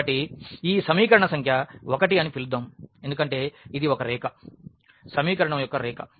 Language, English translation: Telugu, So, let us call this equation number 1 because, this is a line the equation of the line